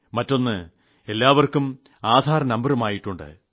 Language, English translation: Malayalam, On the other hand, they have also got their Aadhar numbers